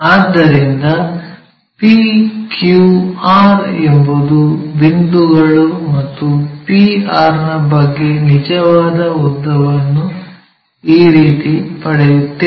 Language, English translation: Kannada, So, p q r are the things and what about the p to r that true length we will get it in this way